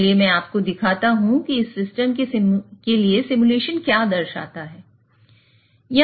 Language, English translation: Hindi, So, let me show you what the simulation shows for this system